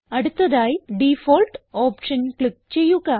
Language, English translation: Malayalam, Next, click on the Default option